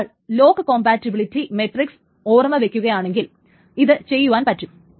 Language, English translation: Malayalam, So if one remembers the log compatibility matrix, then this can be done